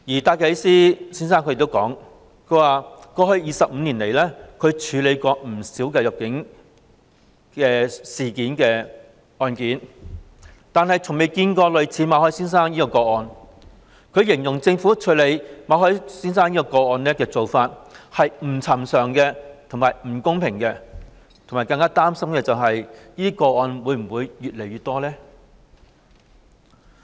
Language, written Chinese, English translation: Cantonese, 戴啟思先生亦指出，過去25年來，他處理過不少與入境事宜相關的案件，但從未見過類似馬凱先生的個案，形容政府處理這個案的做法是"不尋常和不公平"，更擔心未來會有更多類似個案。, Mr DYKES also pointed out that he has dealt with many cases concerning immigration matters in the past 25 years but has never come across any case similar to Mr MALLETs . He said that the Governments handling of the case was unusual and unfair and he was worried that more cases of the kind would occur in future